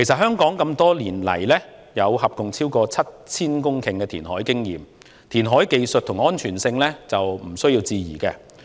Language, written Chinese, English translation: Cantonese, 香港多年來合共有超過 7,000 公頃的填海經驗，填海技術和安全性毋庸置疑。, Over the years Hong Kong has gained experience from reclaiming a total of 7 000 hectares of land from the sea so the reclamation techniques and safety are beyond doubt